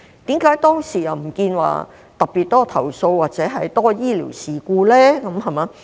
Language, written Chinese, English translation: Cantonese, 為何當時又不見有特別多投訴或較多醫療事故呢？, Why wasnt there a particularly large number of complaints or medical incidents at that time?